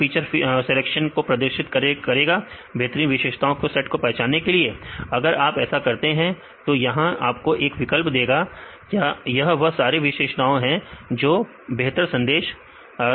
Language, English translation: Hindi, This perform the feature selection to identify the best set of features, if you do this; this will also give you one option these are the probable features which can give the best performance